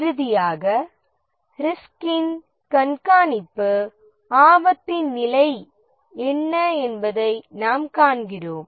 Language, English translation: Tamil, And finally the risk monitoring where we see that what is the status of the risk